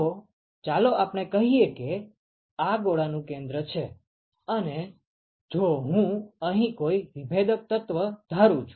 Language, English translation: Gujarati, So, let us say that this is the centre of the sphere, and if I assume a differential element here